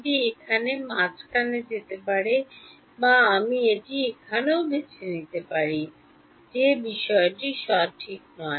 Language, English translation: Bengali, It can it will at the middle over here or I can also choose it over here that is not the matter ok